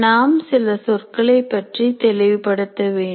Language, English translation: Tamil, Now we need to be clear about a few terms